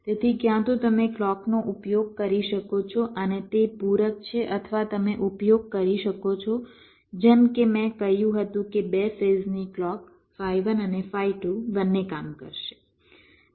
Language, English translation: Gujarati, so either you can use a clock and its complements or you can use, as i said, two phase clock, phi one and phi two